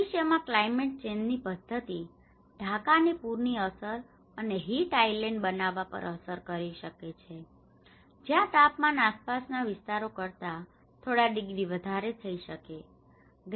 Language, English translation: Gujarati, The future climate change pattern may impact Dhaka from flooding and creating heat island where temperature may become a few degrees higher than the surrounding areas